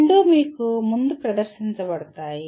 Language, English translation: Telugu, Both are presented to you earlier